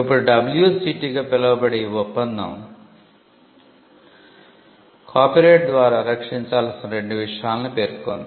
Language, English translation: Telugu, Now this treaty also called as the WCT mentions two subject matters to be protected by copyright